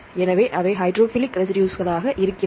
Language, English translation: Tamil, So, they are hydrophilic residues